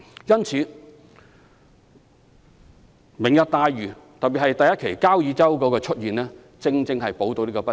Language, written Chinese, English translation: Cantonese, 因此"明日大嶼"，特別是第一期的交椅洲項目，正好能彌補這方面的不足。, Therefore Lantau Tomorrow particularly its phase one project in Kau Yi Chau is there to make up for the shortage of housing supply